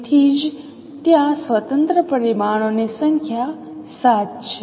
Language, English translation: Gujarati, So that is why there is number of independent parameters 7